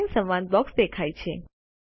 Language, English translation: Gujarati, The Line dialog box appears